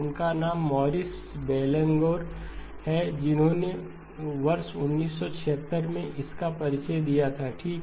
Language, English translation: Hindi, His name is Maurice Bellanger which in the year 1976 okay